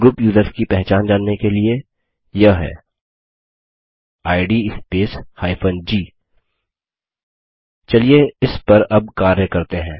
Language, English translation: Hindi, To know about the identity of the group users, it is id space g Now lets work on this